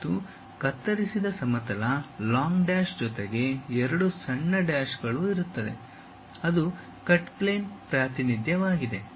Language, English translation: Kannada, And, the cut plane long dash followed by two small dashes and so on; that is a cut plane representation